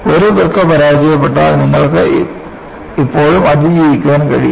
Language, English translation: Malayalam, If one kidney fails, you can still survive